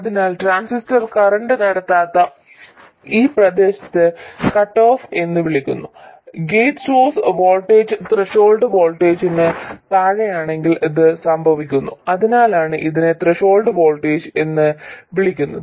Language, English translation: Malayalam, So this region where the transistor is not conducting any current this is known as cutoff and this happens if the gate source voltage is below the threshold voltage that's why it's called the threshold